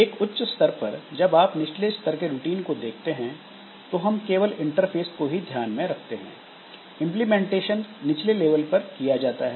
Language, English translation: Hindi, So, at a higher level when you are looking into lower level routines, so we are just looking into the interface part and in the implementation of those routines that is done at a lower level